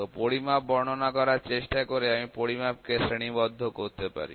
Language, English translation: Bengali, So, trying to explain the measurement for the; measurement I can classify measurement classification